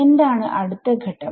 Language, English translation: Malayalam, What is next step